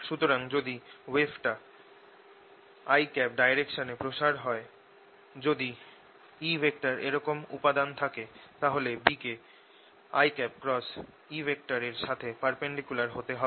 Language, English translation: Bengali, so what we have now is that if the wave is propagating in the i direction, if e vector has components like this, the b vector has to be i cross e